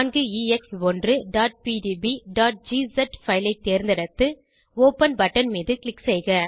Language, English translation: Tamil, Select 4EX1.pdb.gz file and click on open button